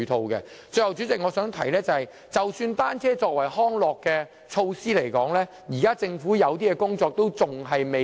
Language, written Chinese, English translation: Cantonese, 最後，代理主席，我想指出，即使政府視單車為康樂工具，現時仍有些工作做得不足。, Lastly Deputy President I would like to point out that even if the Government regards bicycles as a tool of recreation there are areas it has failed to do a proper job . These include the cycle track from Tuen Mun to Tsuen Wan